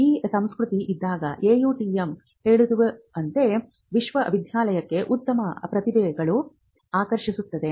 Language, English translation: Kannada, So, when that culture is there AUTM tells us that it could attract better talent to the university